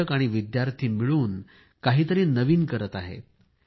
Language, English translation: Marathi, The students and teachers are collaborating to do something new